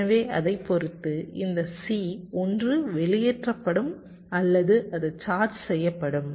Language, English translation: Tamil, so, depending on that, this c will be either discharging or it will be charging